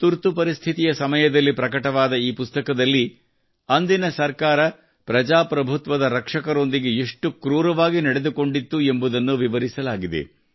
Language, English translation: Kannada, This book, published during the Emergency, describes how, at that time, the government was treating the guardians of democracy most cruelly